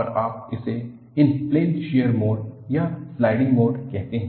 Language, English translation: Hindi, And, you call this as Inplane Shear Mode or Sliding Mode